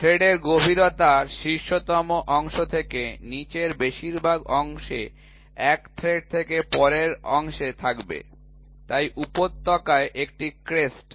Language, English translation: Bengali, So, depth of the thread will be from the top most portion to the bottom most portion from one thread to the next so, one crest to the valley